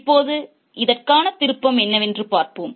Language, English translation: Tamil, Now let's look what exactly that twist is for this one